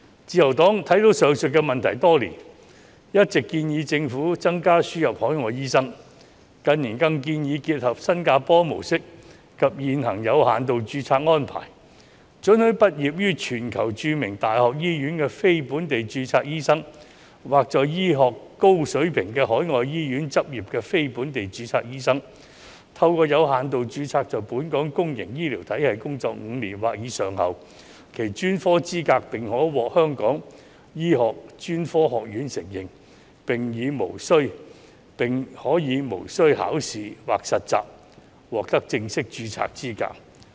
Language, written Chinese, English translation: Cantonese, 自由黨看到上述問題多年，一直建議政府增加輸入海外醫生，近年更建議結合新加坡模式及現行的有限度註冊安排，准許畢業於全球著名大學醫學院的非本地註冊醫生，或在高水平的海外醫院執業的非本地註冊醫生，透過有限度註冊在本港公營醫療體系工作5年或以上後，其專科資格便可獲香港醫學專科學院承認，並可無須考試或實習，獲得正式註冊的資格。, The Liberal Party has noticed the above problems for years and has been suggesting that the Government should import more overseas doctors . In recent years we have proposed to combine the Singapore model and the existing limited registration so that the specialist qualifications of non - locally registered doctors who graduated from medical schools in world - renowned universities or have practised in highly qualified overseas hospitals may be recognized by the Hong Kong Academy of Medicine after having worked in Hong Kongs public healthcare system for five years or above and may be granted full registration without the need for examinations or internships